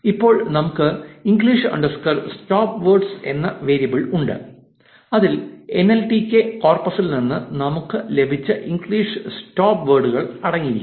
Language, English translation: Malayalam, Now we have a variable called english underscore stopwords which contains english stopwords that we have obtained from the nltk corpus